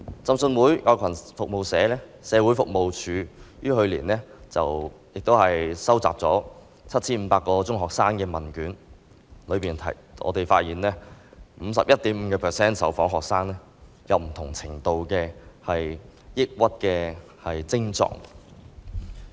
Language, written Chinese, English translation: Cantonese, 浸信會愛羣社會服務處於去年收集了 7,500 個中學生的問卷，當中發現 51.5% 的受訪學生有不同程度的抑鬱症狀。, Baptist Oi Kwan Social Service BOKSS collected questionnaires from 7 500 secondary school students last year and found that 51.5 % of the respondents had varying degrees of depression symptoms